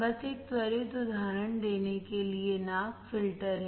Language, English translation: Hindi, Just to give an quick example nose is the filter